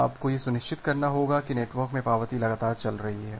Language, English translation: Hindi, You have to ensure that the acknowledgements are flowing in the network continuously